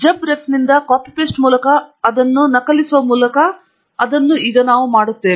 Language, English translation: Kannada, We will do that by copying it from JabRef by copy paste and I will do that now